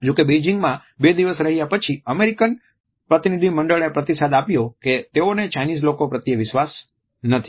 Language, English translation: Gujarati, However, after about two days of a spending in Beijing, American delegation give the feedback that they do not find the Chinese to be trust for the people